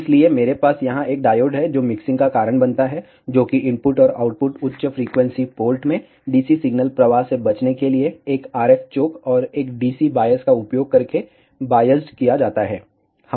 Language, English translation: Hindi, So, I have a diode here which causes the mixing, which is biased using an RF choke and a DC bias to avoid the DC signal to flow into the input and output high frequency ports